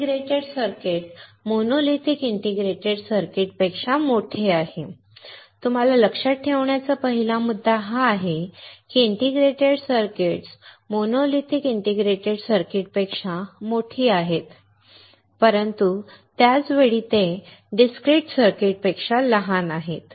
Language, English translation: Marathi, These integrated circuits are larger than monolithic integrated circuits; first point that you have to remember is these integrated circuits are larger than monolithic integrated circuits, but at the same time they are smaller than the discrete circuits